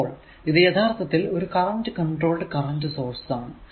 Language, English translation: Malayalam, This is for example, say current controlled current source